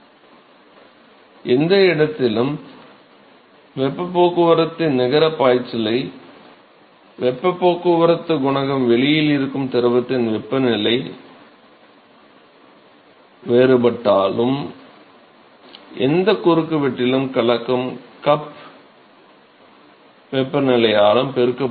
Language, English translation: Tamil, So, this tube and so, we know the net flux of heat transport at any location as heat transport coefficient multiplied by the temperature difference of the fluid which is outside and the mixing cup temperature at any cross section